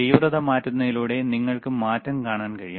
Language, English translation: Malayalam, You see, by changing the intensity, you will be able to see the change